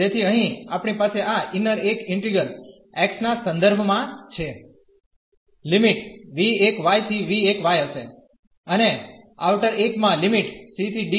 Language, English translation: Gujarati, So, here we will have this integral the inner one with respect to x, the limits will be v 1 y to v 2 y and the outer 1 will have the limits from c to d